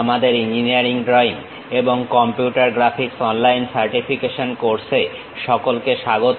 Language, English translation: Bengali, Welcome to our online certification courses on Engineering Drawing and Computer Graphics